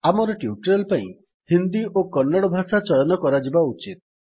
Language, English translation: Odia, For our tutorial Hindi and Kannada should be selected